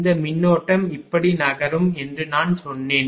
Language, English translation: Tamil, I told you this current will be moving like this